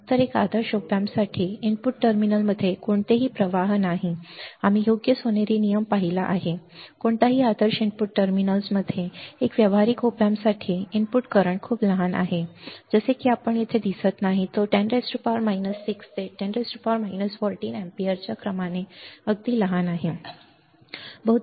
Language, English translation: Marathi, So, for an ideal op amp for an ideal op amp no current flows into input terminals we have seen right golden rule no current can flow into the input terminals for an ideal op amp for practical op amps for practical op amps the input ca currents are very small are very small it is like not no current you see here it is very small of order of 10 raise to minus 6 or 10 raise to minus 14; 10 raise to 10 raise to minus 6 to 10 raise to minus 14 ampere, right